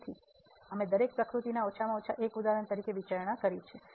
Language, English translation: Gujarati, So, we have considered at least 1 example of each nature